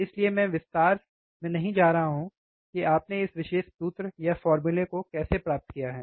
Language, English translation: Hindi, So, I am not going into detail how you have derived this particular formula